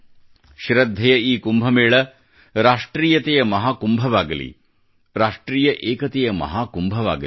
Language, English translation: Kannada, May this Kumbh of faith also become Mahakumbh of ofnationalism